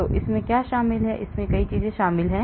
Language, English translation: Hindi, so what does that involve, it involves many things